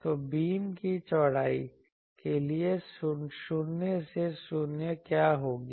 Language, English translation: Hindi, So, what will be the null to null beam width; null to null beam width